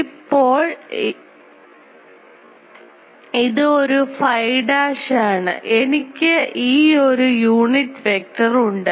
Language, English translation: Malayalam, So, now this a phi dashed I have this unit vector I have expressed